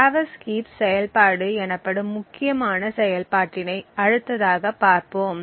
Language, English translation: Tamil, The next we will see is a very important function known as the traverse heap function